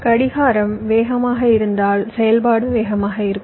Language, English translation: Tamil, faster the clock, faster would be the operation